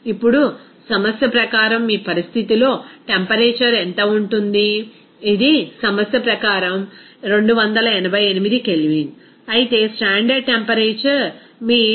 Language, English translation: Telugu, Now, what is the temperature at your condition given as per problem, it is 288 K as per of your problem, whereas the standard temperature is your 273